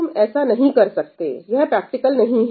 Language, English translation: Hindi, You cannot do it, right – it’s not practical